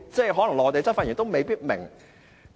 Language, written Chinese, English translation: Cantonese, 可能內地執法人員也未必明白。, Maybe law enforcement personnel will not understand either